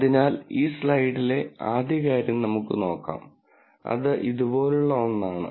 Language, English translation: Malayalam, So, let us look at, the first thing on this slide, which is something like this here